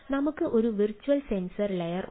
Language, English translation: Malayalam, so we talk about virtual sensors